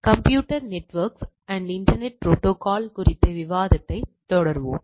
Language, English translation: Tamil, So we will be continuing our discussion on Computer Networks and Internet Protocol